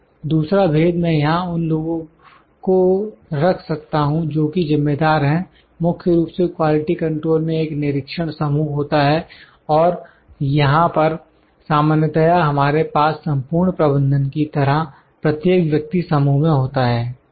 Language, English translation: Hindi, Another difference I can put the people who are responsible here the mostly in quality control a specific team is there, an inspection team, specific team and here we have generally everyone on the team that like the whole management, ok